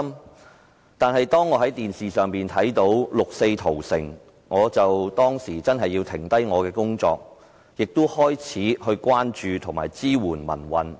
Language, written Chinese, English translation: Cantonese, 不過，當我在電視上看到六四屠城時，便停下了手上的工作，並開始關注和支援民運。, However when I saw the 4 June massacre on television I immediately put aside my work and started to show concern for and give support to the pro - democracy movement